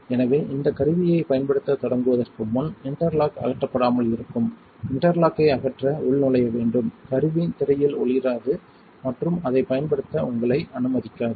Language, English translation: Tamil, So, before we start using this tool we have to log in to remove the interlock without the interlock removed the tool will not light up on the screen and will not let you use it